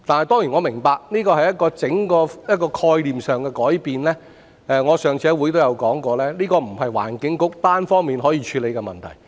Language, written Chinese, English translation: Cantonese, 當然我明白這是整個概念上的改變，我上次在會議上也說過，這不是環境局單方面可以處理的問題。, Of course I understand that this represents an entire change in the concept . As I said in the last meeting this is not a problem that the Environment Bureau can handle unilaterally